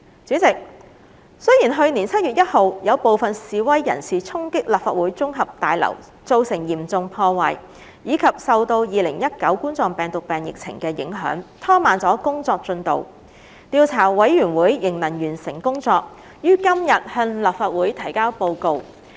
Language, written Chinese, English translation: Cantonese, 主席，雖然去年7月1日有部分示威人士衝擊立法會綜合大樓造成嚴重破壞，以及受到2019冠狀病毒病疫情的影響，拖慢了工作進度，調查委員會仍能完成工作，於今天向立法會提交報告。, President although the progress of work has been slowed down due to the havoc wrought to the Legislative Council Complex after it was stormed by some protesters on 1 July last year and also to the impact of the COVID - 19 pandemic the Investigation Committee can still finish its work and submit the Report to the Legislative Council today